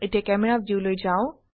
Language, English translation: Assamese, This is the Camera View